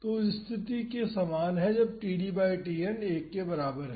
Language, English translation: Hindi, So, this is similar to the case when td by Tn is equal to 1